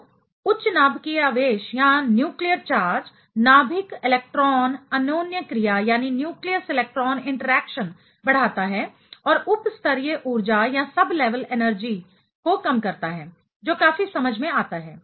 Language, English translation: Hindi, So, higher nuclear charge increases nucleus electron interaction and lowers the sub level energy that is quite understandable